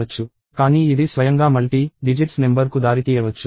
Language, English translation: Telugu, But then this may result in a multi digit number by itself